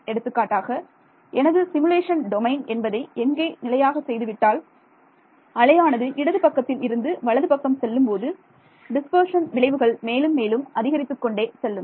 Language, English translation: Tamil, So, what can that threshold be; for example, my simulation domain is some fixed amount over here and as the wave travels from the left to the right the dispersion effects will grow more and more